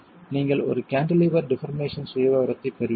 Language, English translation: Tamil, You get a cantilever deformation profile